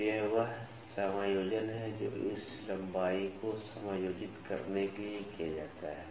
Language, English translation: Hindi, So, this is the adjustment that is made to adjust this length